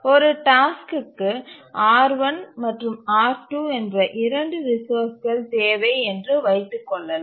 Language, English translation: Tamil, Let me repeat again that let's say a task needs two resources, R1 and R2